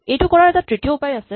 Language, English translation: Assamese, There is a third way to do this